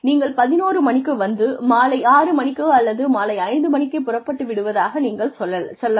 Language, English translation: Tamil, And you say, you come at eleven, you leave at, six in the evening, or five in the evening